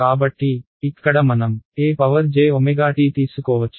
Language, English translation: Telugu, So, here I can take e to the j omega t